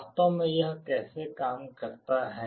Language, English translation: Hindi, This is actually how it works